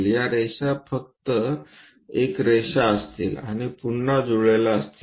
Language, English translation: Marathi, These line will be just a line and again coincidental line